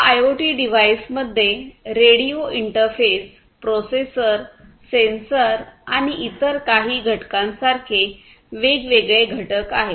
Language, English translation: Marathi, So, these IoT devices we will have different components such as the radio interface, the processor, the sensor and few other components could also be there